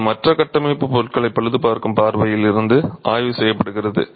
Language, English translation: Tamil, It's also being researched from the point of view of repair of other structural materials